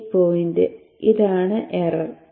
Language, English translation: Malayalam, This is the error